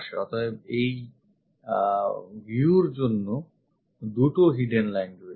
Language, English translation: Bengali, So, two hidden lines for this view